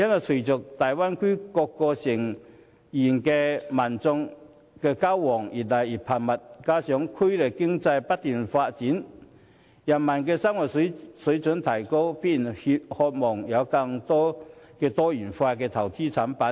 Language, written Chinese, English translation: Cantonese, 隨着大灣區各成員的民眾交往日趨頻繁，加上區內經濟不斷發展，人民生活水平提高，必然渴望有更多多元化的投資及保險產品。, With the increasingly frequent exchanges among residents of cities in the Bay Area and coupled with continuous economic development in the region leading higher living standards people naturally want to have wider choices of investment and insurance products